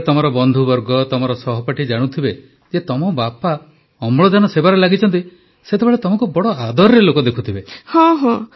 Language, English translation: Odia, When your friend circle, your fellow students learn that your father is engaged in oxygen service, they must be looking at you with great respect